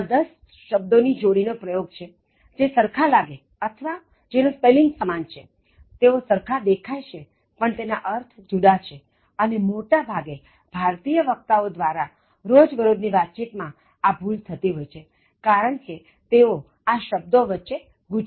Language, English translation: Gujarati, They are actually going to use ten pairs of words, which sound similar or they are spelled similar, they look similar, but they are different in meanings and most of the times, common errors that are committed by Indian speakers, mostly in the everyday language context is because that they get confused between these words